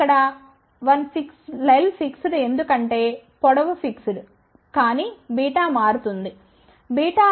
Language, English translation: Telugu, Now, l is fixed because the length has been fixed, but beta is changing, what is beta